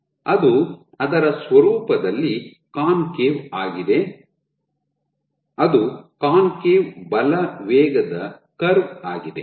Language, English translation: Kannada, So, it is concave its nature, the concave force velocity curve